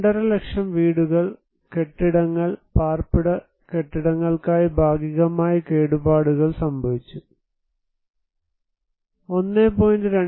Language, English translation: Malayalam, 5 lakhs houses buildings residential buildings were partially damaged, 1